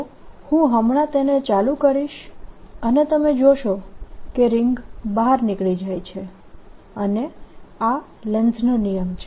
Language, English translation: Gujarati, so i'll just switch it on and you'll see that the ring jumps out, and that is the lenz's law